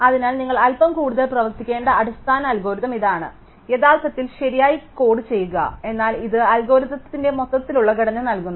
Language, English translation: Malayalam, So, this is the basic algorithm you have to do a little bit more work actually code it correctly, but this gives the overall structure of the algorithm